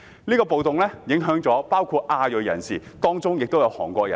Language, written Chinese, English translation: Cantonese, 是次暴動影響亞裔人士，當中包括韓國人。, Asians including Koreans were affected by the riots